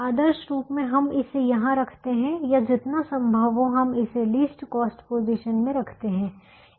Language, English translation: Hindi, ideally we would like to put it here, or try to put as much as we can in the least cost position